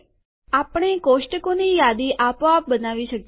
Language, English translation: Gujarati, We can create a list of tables automatically